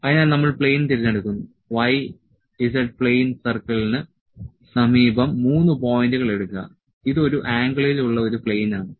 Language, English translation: Malayalam, So, we select the plane take 3 points near to the y z plane circle, this is a plane at an angle is a plane at an angle